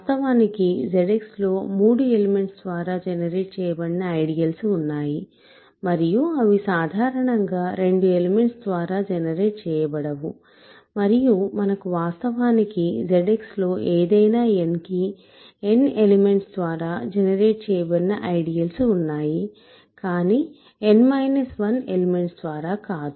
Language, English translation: Telugu, In fact, there are ideals in Z X that are generated by three elements and that cannot be generated by 2 elements in more generally and we have in fact, for any n there are ideals of Z X that are generated by n elements, but not by n minus 1 elements ok